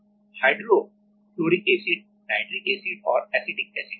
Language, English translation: Hindi, HNA is hydrofluoric acid, nitric acid and acetic acid